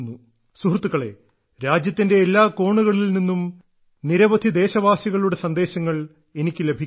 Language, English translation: Malayalam, Friends, I get messages and letters from countless countrymen spanning every corner of the country